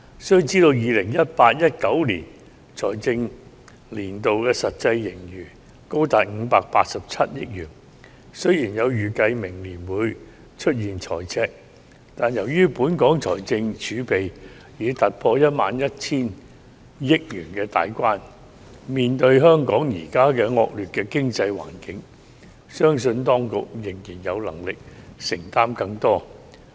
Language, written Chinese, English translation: Cantonese, 須知道 ，2018-2019 財政年度的實際盈餘高達587億元，雖然有預計指明年會出現赤字，但由於本港財政儲備已突破 11,000 億元大關，面對香港現時惡劣的經濟環境，相信當局仍然有能力承擔更多。, We must bear in mind that the actual surplus in the 2018 - 2019 financial year amounted to 58.7 billion . Although a deficit is estimated for next year I believe the Administration with a fiscal reserve of more than 1,100 billion still has the capacity to make greater commitments under the prevailing adverse economic environment in Hong Kong